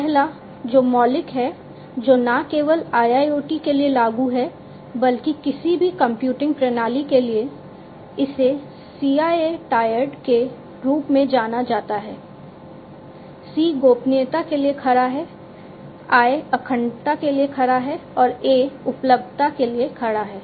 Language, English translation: Hindi, The first one is the basic one the fundamental one which is not only applicable for IIoT but for any computing system, this is known as the CIA Triad, C stands for confidentiality, I stands for integrity and A stands for availability